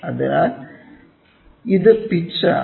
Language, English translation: Malayalam, So, this is pitch